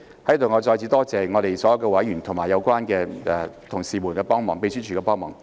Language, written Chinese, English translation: Cantonese, 在此，我再次感謝所有委員及相關同事及秘書處的幫忙。, I once again take this opportunity to thank all members colleagues involved and the Secretariat for their help